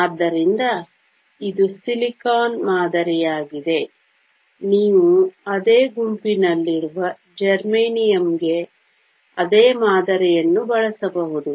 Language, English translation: Kannada, So, this is the model for silicon, you can use the same model for germanium which lies in the same group